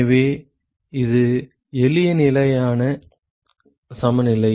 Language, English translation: Tamil, So, that is the simple steady state balance